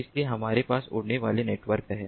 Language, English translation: Hindi, so we have flying networks